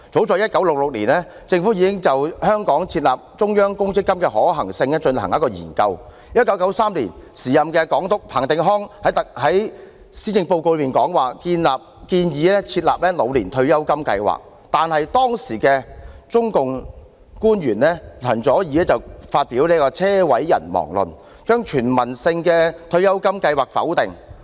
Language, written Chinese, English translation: Cantonese, 早於1966年，政府已經就在香港設立中央公積金的可行性進行研究；在1993年，時任總督彭定康在施政報告中建議設立"老年退休金計劃"，然而，當時的中共官員陳佐洱發表"車毀人亡論"，將全民退休金計劃否定。, As early as 1966 the Government already conducted a study on the feasibility of establishing a central provident fund in Hong Kong . In 1993 the then Governor Mr Chris PATTEN proposed the establishment of an Old Age Pension Scheme in his policy address but an official of the Communist Party of China CHEN Zuoer made comments about a car crash resulting in fatalities and ruled out universal retirement protection